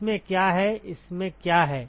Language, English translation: Hindi, What does it what is this contain